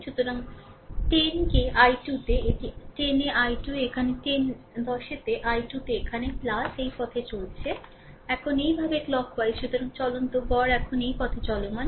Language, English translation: Bengali, So, 10 into i 2, right that is your 10 into i 2 is here 10 into i 2 is here plus, you are moving this way, now clock wise this way